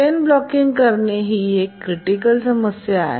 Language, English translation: Marathi, So chain blocking is a severe problem